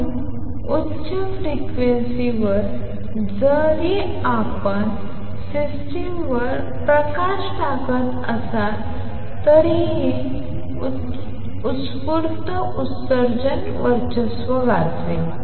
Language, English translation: Marathi, So, at high frequencies even if you are to shine light on systems the spontaneous emission will tend to dominate